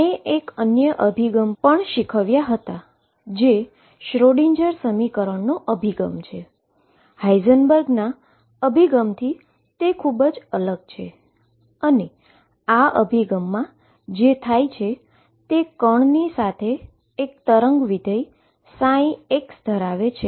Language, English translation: Gujarati, I we have also learnt another approach which is Schrodinger’s approach which is very, very different on the surface from Heisenberg’s approach, and what happens in this approach is the particle has a wave function psi x associated with it